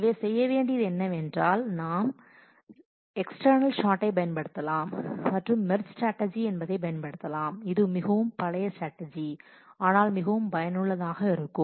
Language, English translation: Tamil, So, what will have to do is will have to take recourse to external sort and merge strategy which is a very old strategy, but very effective